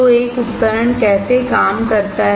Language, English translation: Hindi, So, how does a device work